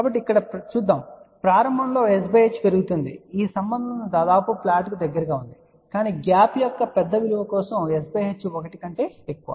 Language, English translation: Telugu, So, let us see here as s by h increases in the beginning the relation is almost close to flat , but for larger value of the gap s by h greater than 1